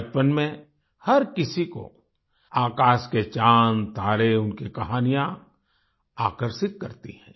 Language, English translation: Hindi, During one's childhood, stories of the moon and stars in the sky attract everyone